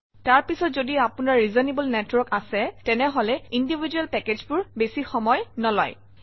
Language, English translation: Assamese, After that if you have reasonable network individual packages should not take too much time